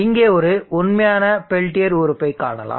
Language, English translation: Tamil, Let us now see how our real peltier element looks like